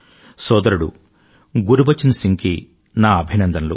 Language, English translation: Telugu, Congratulations to bhaiGurbachan Singh ji